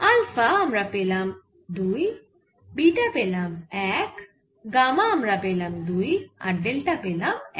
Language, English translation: Bengali, so for alpha will get two, beta will get one, gamma will get two and delta will get